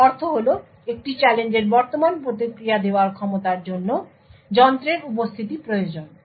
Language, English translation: Bengali, What this means is that the ability to actually provide the current response to a challenge should require the presence of the device